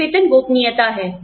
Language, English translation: Hindi, One is pay secrecy